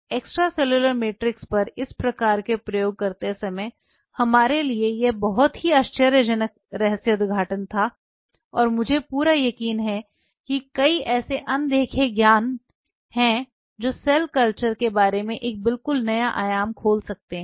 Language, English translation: Hindi, That was a very stunning revelation for us while doing these kinds of experiments on extracellular matrix and I am pretty sure there are many such undiscovered wealth which may open up a totally new dimension about cell culture